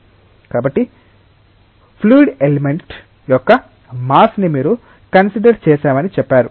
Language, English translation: Telugu, So, you have said considered the mass of a fluid element